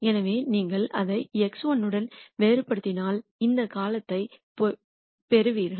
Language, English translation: Tamil, So, if you differentiate it with respect to x 1 you will get this term